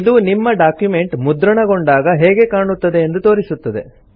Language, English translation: Kannada, It basically shows how your document will look like when it is printed